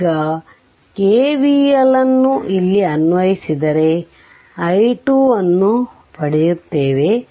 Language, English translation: Kannada, Now you apply what you call KVL here, you will get your i what you call i 2